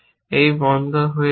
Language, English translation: Bengali, This goes off